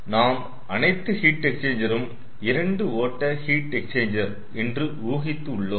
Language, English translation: Tamil, so we have assumed all the heat exchangers are two stream heat exchangers